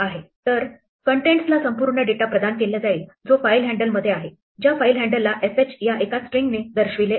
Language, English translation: Marathi, So, contents is now assigned the entire data which is in the file handle pointed by fh in one string